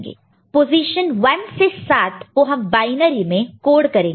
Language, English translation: Hindi, Each of this position 1 to 7 we are coding in binary, right